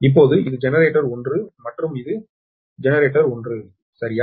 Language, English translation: Tamil, so this is generated one and this is your generator one, right